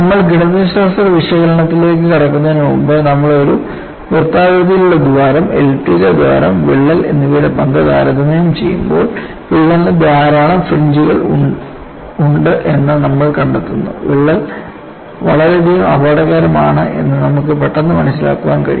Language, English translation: Malayalam, So, before we get into a mathematical analysis, when you compare the role of a circular hole, elliptical hole, and crack, you find the crack has the large number of fringes, and you can immediately get an understanding that crack is lot more dangerous